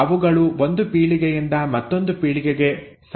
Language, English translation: Kannada, They have to be passed on they have to passed on from one generation to other